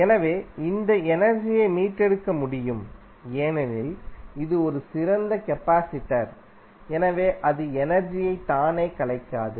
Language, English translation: Tamil, So, this energy can be retrieve because it is an ideal capacitor, so it will not dissipates energy by itself